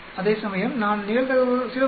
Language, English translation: Tamil, Here I will mention the probability 0